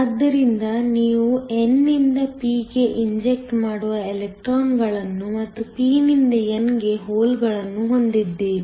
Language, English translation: Kannada, So, you have electrons injecting from the n to the p and holes from the p to the n